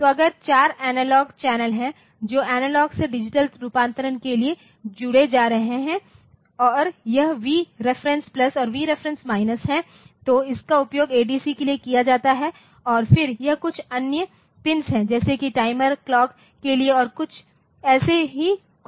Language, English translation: Hindi, So, if there are 4 analog channels that can be connected for analog to digital conversion and this is V REF plus V REF minus so, this is used for the AD, ADC and then this is the some other pins like a time this is for timer clock and I think something like that